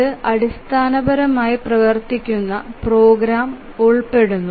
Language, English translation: Malayalam, It basically involves running program